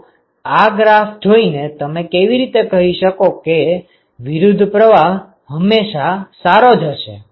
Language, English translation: Gujarati, Now, how can you say from this graph that counter flow is always better